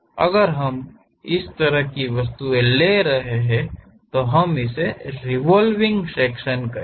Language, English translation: Hindi, If we are having that kind of objects, we call that as revolve sections